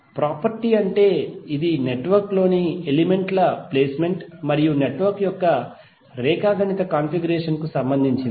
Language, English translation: Telugu, The property is which is relating to the placement of elements in the network and the geometric configuration of the network